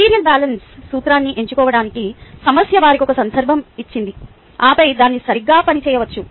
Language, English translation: Telugu, the problem has given them a context to pick up the principle of material balance and then it can be worked out right